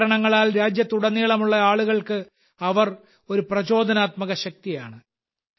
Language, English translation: Malayalam, She has been an inspiring force for people across the country for many reasons